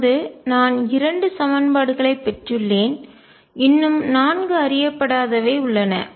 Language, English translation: Tamil, So, I have gotten two equations, still there are four unknowns